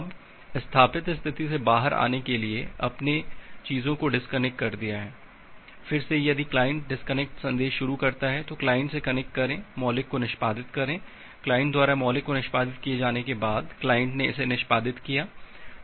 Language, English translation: Hindi, Now to come out of the establish state, you have disconnect the things, then again if the client initiate the disconnection message, so connect connect the client execute the disconnect primitive; after the client execute disconnect primitive the client has executed it